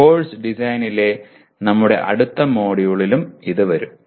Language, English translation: Malayalam, And also it will come in our next module on Course Design